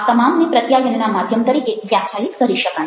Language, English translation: Gujarati, all this can be defined as channels of communication